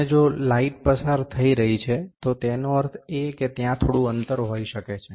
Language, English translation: Gujarati, And if the light is passing, that means there might be some gap